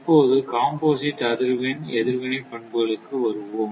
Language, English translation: Tamil, Now, next is the composite frequency response characteristic right